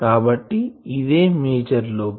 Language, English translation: Telugu, What is a major lobe